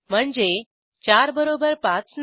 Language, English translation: Marathi, i.e.4 is not equal to 5